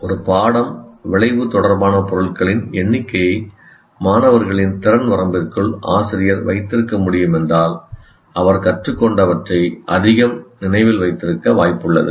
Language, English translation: Tamil, So if the teacher can keep the number of items related to a lesson outcome within the capacity limits of students, they are likely to remember more of what they learned